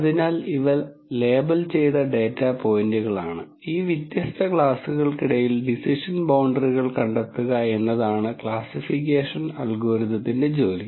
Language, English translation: Malayalam, So, these are labelled data points and the classification algorithms job is to actually find decision boundaries between these different classes